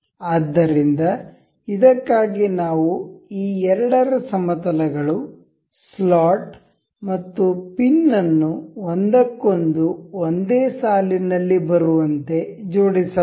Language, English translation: Kannada, So, for this we can align the planes of these two, the the slot and the pin into one another